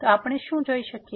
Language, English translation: Gujarati, So, what we can also see